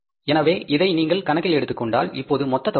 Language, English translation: Tamil, So if you take this into account, so what is the total amount now